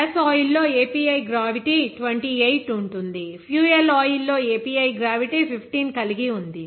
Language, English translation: Telugu, The gas oil has API gravity 28, whereas fuel oil has API gravity of 15